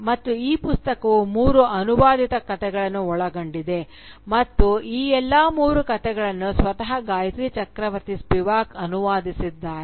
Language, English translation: Kannada, And, this book contains three translated stories and all of these three stories are translated by Gayatri Chakravorty Spivak, herself